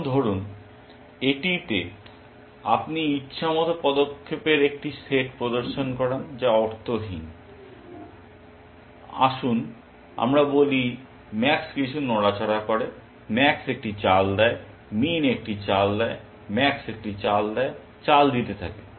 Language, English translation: Bengali, Now, supposing in this you were to insert a set of arbitrary moves which are pointless let us say, max makes some move, max makes a move, min makes a move, max makes a move, makes the move